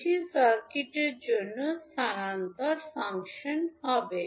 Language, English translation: Bengali, That would be the transfer function for the circuit